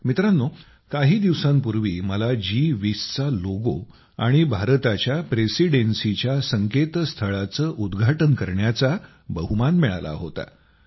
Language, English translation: Marathi, Friends, a few days ago I had the privilege of launching the G20 logo and the website of the Presidency of India